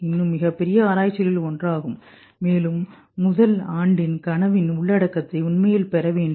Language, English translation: Tamil, That is still one of the biggest research challenge, how to really get the content of the dream of the first year